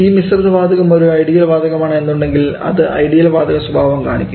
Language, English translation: Malayalam, Now, if you are going for an ideal gas mixture for an ideal gas mixture